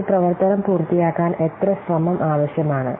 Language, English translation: Malayalam, Then how much effort is required to complete an activity